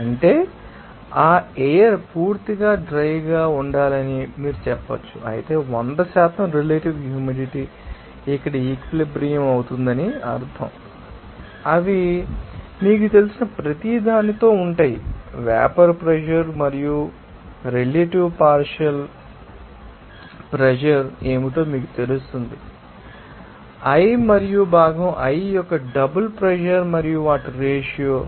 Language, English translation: Telugu, That means, you can say that that air should be completely dry whereas 100 percent relative humidity that will mean that here will be saturated they are with each you know vapour pressure and percentage relativity will be you know defined as what is you know partial pressure of that component i and double pressure of the component i and their ratio